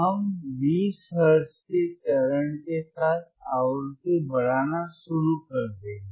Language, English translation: Hindi, We will start increasing the frequency with the step of 20 hertz